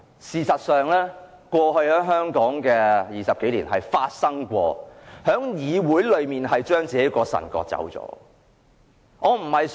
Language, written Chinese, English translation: Cantonese, 事實上，香港過去20多年是發生過議會將本身的腎臟割走。, In fact the Council has cut off its own kidney on several occasions in the past some 20 years